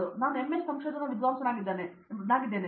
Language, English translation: Kannada, So, I am an MS research scholar